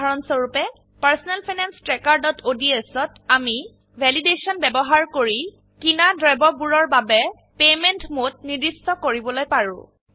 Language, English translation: Assamese, For example, in Personal Finance Tracker.ods, we can specify the mode of payment for the items bought using Validation